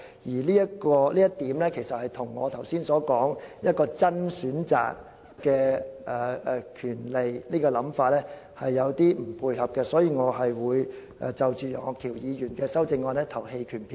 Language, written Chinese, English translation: Cantonese, 由於這點與我剛才所說"真正的選擇"和想法有所不同，因此我會就楊岳橋議員的修正案投棄權票。, Since this is not in line with the genuine choice I mentioned a moment ago and my thoughts I will abstain from voting on Mr Alvin YEUNGs amendment